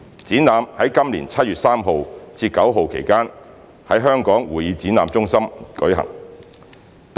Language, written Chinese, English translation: Cantonese, 展覽在今年7月3日至9日期間在香港會議展覽中心舉行。, The exhibition had been held in the Hong Kong Convention and Exhibition Centre from 3 to 9 July 2021